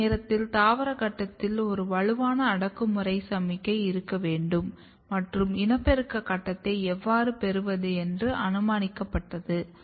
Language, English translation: Tamil, So, at that time it was hypothesized that there has to be a strong repressing signal during the vegetative phase and how to acquire the reproductive phase